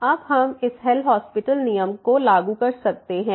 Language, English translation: Hindi, And now we can apply the L’Hospital rule